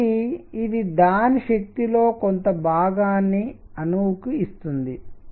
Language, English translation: Telugu, So, it is given part of his energy through the atom